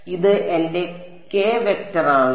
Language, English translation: Malayalam, So, this is my k vector